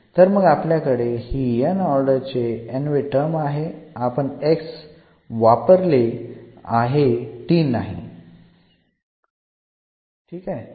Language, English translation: Marathi, So, we have this nth term an nth order term with this x here not the t; we have used x there